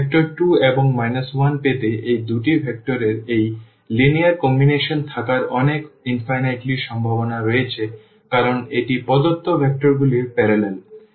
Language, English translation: Bengali, There are so, many infinitely many possibilities to have this linear combination of these two vectors to get this vector 2 and minus 1 because, this is parallel to the given vectors